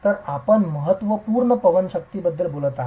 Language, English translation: Marathi, So, you are talking of significant wind forces